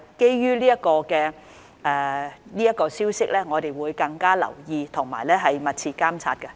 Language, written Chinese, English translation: Cantonese, 不過，基於有關的消息，我們會加倍留意和密切監測。, However in the light of Japans announcement we will pay extra attention and keep a close watch on the situation